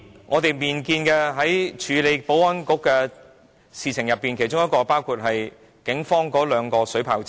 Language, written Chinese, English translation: Cantonese, 我們本年亦處理了有關保安局的議題，包括為警方購置兩輛水炮車。, This year we have likewise dealt with issues relating to the Security Bureau including the procurement of two water cannon vehicles for the Police